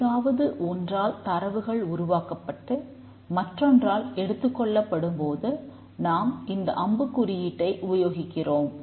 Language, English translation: Tamil, So, when data is produced and by something and consumed by something we use the arrow symbol